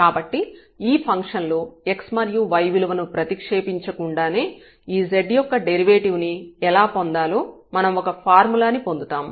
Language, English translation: Telugu, So, we will derive a formula how to get the derivative of this z without substituting this x and y here in this function